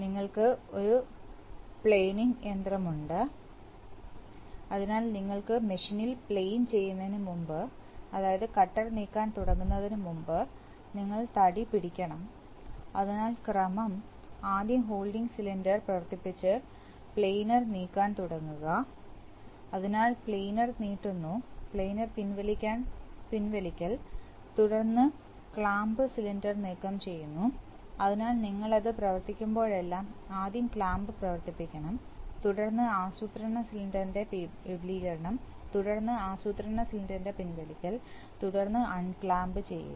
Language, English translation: Malayalam, You have you have a planning machine, so before you plane in the machine, before you start moving the planning cutter, you have to hold the job, so the sequence is that first operate the holding cylinder then start moving the planar, so the planar extends then the planar retracts then remove the clamp cylinder, so you see that we are, we have, every time we operate, we have to operate it in first clamp then extension of planning cylinder, then retraction of planning cylinder then unclamp